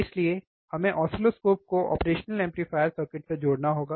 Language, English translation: Hindi, So, we have to connect the oscilloscope with the operational amplifier circuit